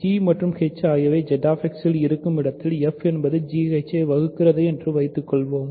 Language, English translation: Tamil, Suppose f divides g h in Z X of course, right by which I mean g and h are in Z X